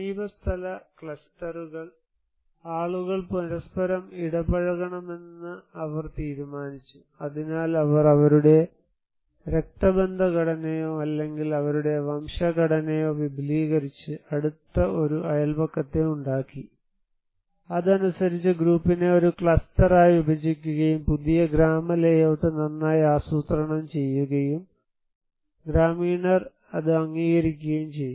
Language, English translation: Malayalam, Neighborhood clusters; so they decided that they need to the people should interact with each other, so they made a very close neighborhood that is extending their kinship structure or their clan structure and accordingly, they were given divided the group into a cluster, and new village layout was well planned and also accepted by the villagers